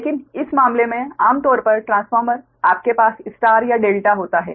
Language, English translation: Hindi, but in this case generally, generally transformer, you have star or delta, right